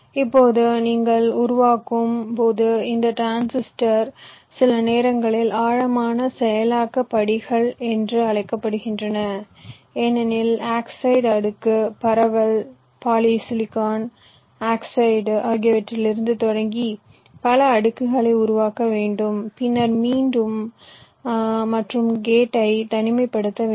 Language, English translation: Tamil, now, this transistor, when you are creating these are sometimes called deep processing steps, because you have to create a number of layers, starting from the oxide layer diffusion, polysilicon oxide